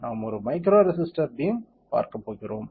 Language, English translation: Tamil, We are going to see a micro resistor beam